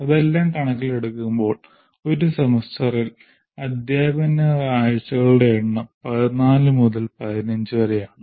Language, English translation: Malayalam, So keep taking all that into account, the number of teaching weeks in a semester comes around to 14 to 15